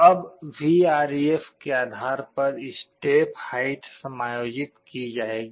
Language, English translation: Hindi, Now, depending on Vref, the step height will be adjusted